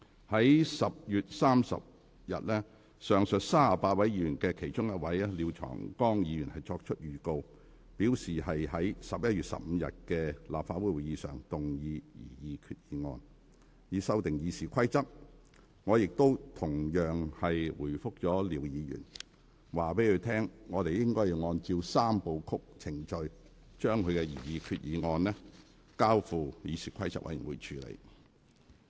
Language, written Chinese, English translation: Cantonese, 在10月30日，上述38位議員的其中一位作出預告，表示擬於11月15日的立法會會議上，動議擬議決議案，以修訂《議事規則》，我亦同樣回覆廖議員，告知他我會按照"三部曲"程序，將他的擬議決議案交付議事規則委員會處理。, On 30 October one of the above mentioned 38 Members gave a notice to move his proposed resolutions to amend RoP at the Council meeting of 15 November . Likewise I replied Mr LIAO that I would follow the three - step process and refer his proposed resolutions to CRoP